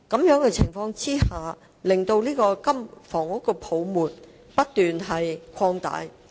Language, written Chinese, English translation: Cantonese, 在此情況下，樓市泡沫會不斷擴大。, As such the housing bubble keeps growing